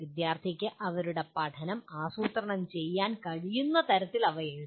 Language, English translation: Malayalam, And they should be written in a way the student themselves should be able to plan their learning